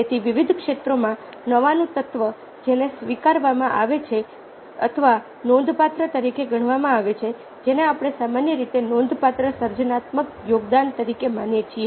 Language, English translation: Gujarati, so the element of new in a wide variety of fields which are accepted or considered as significant, is what we consider generically as a significant creative